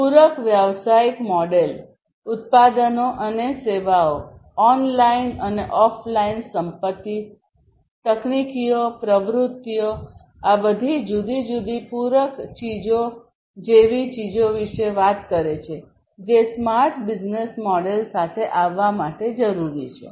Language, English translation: Gujarati, Complementary business model talks about things such as the product and services, online and offline assets, technologies, activities all these different complementary things, which are required in order to come up with the smart business model